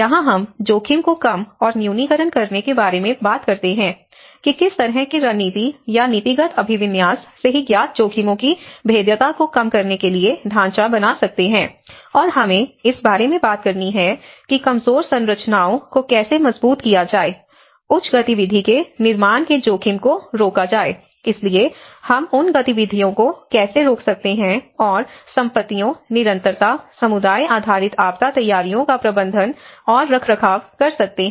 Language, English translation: Hindi, And risk reduction and mitigation: Here, we talk about what kind of strategies or the policy orientation, how we can frame to reduce the vulnerability to already known risks, and we have to talk about how to strengthen vulnerable structures, prevent building activity in high risk, so how we can prevent those activities and managing and maintaining assets, continuity, also community based disaster preparedness